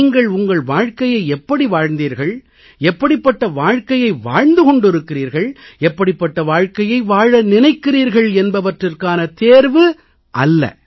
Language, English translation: Tamil, It is not a test of what kind of life have you lived, how is the life you are living now and what is the life you aspire to live